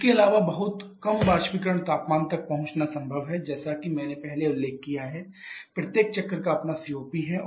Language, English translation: Hindi, Also it is possible to reach very low evaporator temperatures as I mentioned earlier each of the cycles has their own COP's